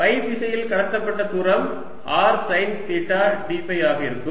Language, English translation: Tamil, in the phi direction the distance cover is going to be r, sine theta d phi